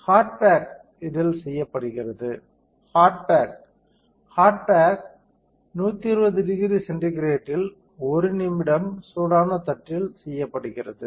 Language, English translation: Tamil, And hard bake is done at this is hard bake hard bake is done at 120 degree centigrade for 1 minute on hot plate